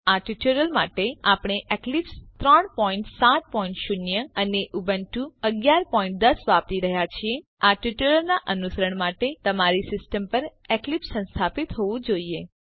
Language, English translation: Gujarati, For this tutorial we are using Eclipse 3.7.0 and Ubuntu 11.10 To follow this tutorial you must have Eclipse installed on your system